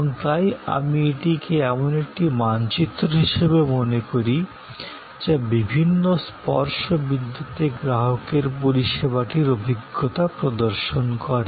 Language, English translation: Bengali, And so, it think of it as a map showing the customer's experience of the service at various touch points